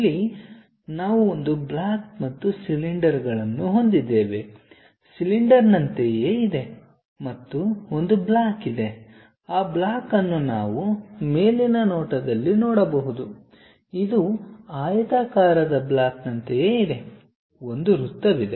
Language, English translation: Kannada, Here we have a block and cylinders, something like a cylinder and there is a block, that block we can see it in the top view it is something like a rectangular block, there is a circle